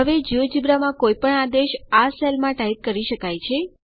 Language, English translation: Gujarati, Now any command from the geogebra can be typed in a cell here